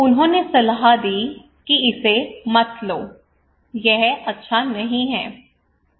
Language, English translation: Hindi, And they gave a advice do not take is not good